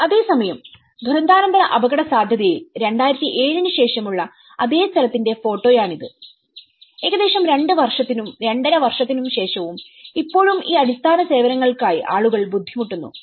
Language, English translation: Malayalam, Whereas, in post disaster vulnerability this is the photograph of the same place after 2007 which is after almost two years, two and half year and still people, still struggling for these basic services